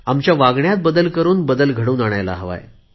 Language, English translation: Marathi, We shall have to bring about a change through our conduct